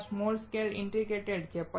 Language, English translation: Gujarati, There is small scale integration